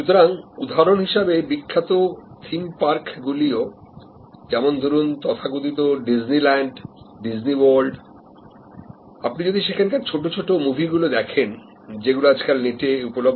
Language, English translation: Bengali, So, for example, famous theme parts like the so called Disney land, Disney world, if you see there, the short movies which are available on the net